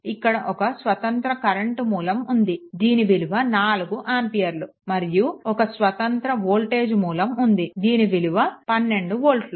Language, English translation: Telugu, And one independent current source is there this is 4 ampere and one independent voltage source is there that is 12 volt right